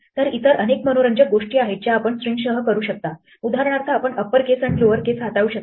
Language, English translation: Marathi, So there are many other interesting things you can do with strings for example, you can manipulate upper case and lower case